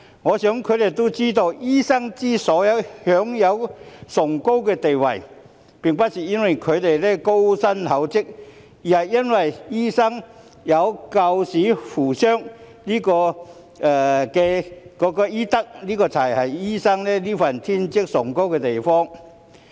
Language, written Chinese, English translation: Cantonese, 我想他們知道，醫生之所以享有崇高的地位，並不是因為他們高薪厚職，而是因為醫生有救死扶傷的醫德，這才是醫生這份職業崇高的地方。, I believe they know that doctors are held in high esteem not because they earn handsome salaries but because they hold fast to the ethics of saving lives and curing the wounded which is the nobility of the profession